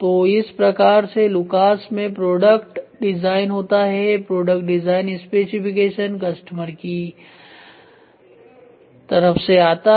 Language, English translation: Hindi, So, this is how product design in Lucas happens product design specification which comes from customer voice